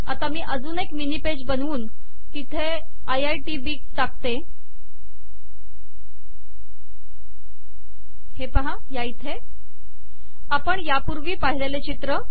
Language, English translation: Marathi, Now I am going to create another mini page and in this mini page I am going to put this IITb, the same image we saw earlier